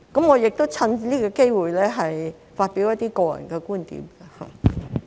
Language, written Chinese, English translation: Cantonese, 我亦趁此機會發表一些個人觀點。, I would also like to take this opportunity to express some of my personal views